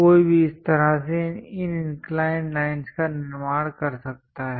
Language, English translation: Hindi, This is the way one can really construct these inclined lines